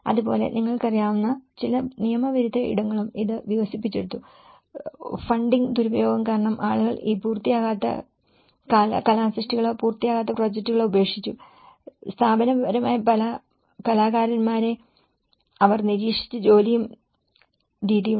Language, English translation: Malayalam, And that way, it has also developed some kind of illegal spaces you know, that people just leftover these unfinished artworks or unfinished projects like that because of there was a funding mismanagement, there is the institutional, the way they looked at the these artists and the work